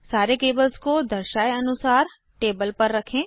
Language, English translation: Hindi, Place all the cables on the table, as shown